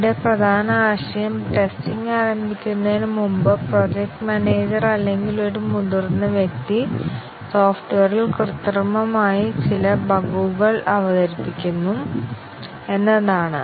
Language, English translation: Malayalam, Here, the main idea is that before the testing starts, the project manager or a senior person introduces some bugs artificially into the software